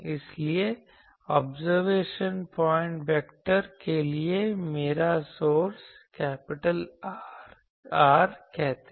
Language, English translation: Hindi, So, my source to the observation point vector, let me call capital R